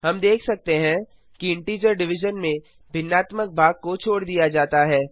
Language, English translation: Hindi, We can see that in integer division the fractional part is truncated